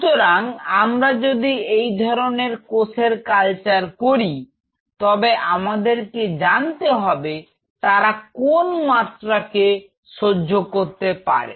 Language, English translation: Bengali, So, if we are culturing these kinds of cells, we should know that what is the level they can withstand